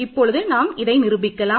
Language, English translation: Tamil, So, let us prove this